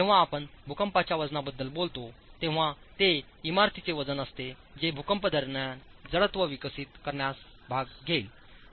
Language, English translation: Marathi, When we talk of seismic weight, it's the weight of the building that will participate in developing inertial forces during an earthquake